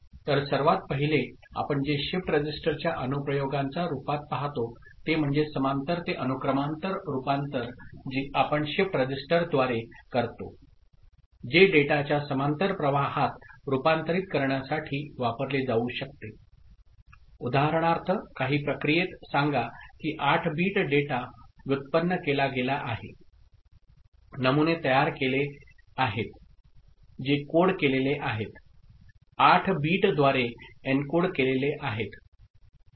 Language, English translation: Marathi, So, the first of all what we see is as one application of shift register is parallel to serial conversion that we do through shift register that can be used for converting a parallel stream of data that is getting generated; for example, in some process say 8 bit data is generated, samples are generated which is coded, encoded by 8 bits